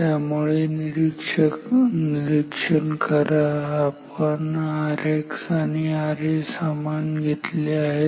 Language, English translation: Marathi, So, observe we have chosen R X to be similar as R A